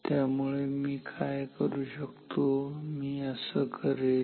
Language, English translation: Marathi, So, then what can I do, what I will do is this